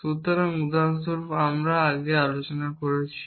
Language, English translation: Bengali, So, for example, the system that we discussed earlier